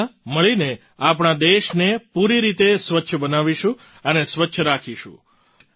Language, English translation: Gujarati, Together, we will make our country completely clean and keep it clean